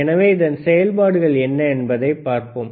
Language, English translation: Tamil, So, let us see what are the functions